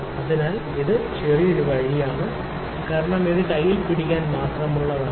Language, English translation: Malayalam, So, this is a little way out because this is just made to hold in the hand